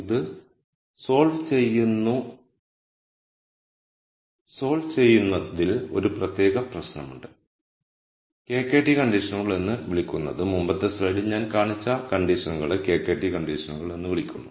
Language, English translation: Malayalam, There is a speci c problem in solving this what are called the KKT conditions the conditions that I showed in the previous slide are called the KKT conditions